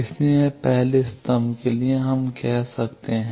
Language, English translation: Hindi, So, for the first column we can say 0